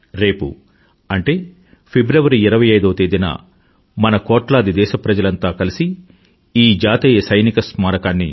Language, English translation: Telugu, Tomorrow, that is on the 25th of February, crores of we Indians will dedicate this National Soldiers' Memorial to our Armed Forces